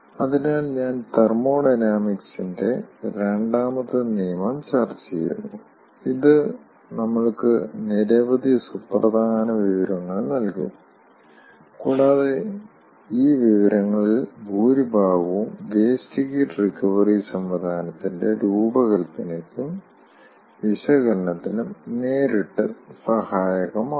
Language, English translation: Malayalam, so lets say we are discussing second law of thermodynamics and it will give us many important information and most of this information will be directly applicable for the design and analysis of, for the design and analysis of wasted recovery system